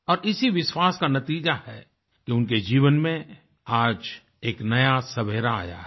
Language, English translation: Hindi, It's a result of that belief that their life is on the threshold of a new dawn today